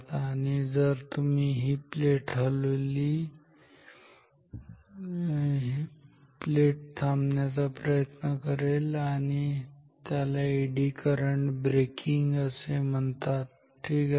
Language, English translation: Marathi, And if you move the plate the plate will try to get stopped that is called Eddy current braking ok